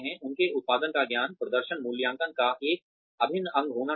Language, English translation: Hindi, Knowledge of their output, should be an integral part of performance appraisals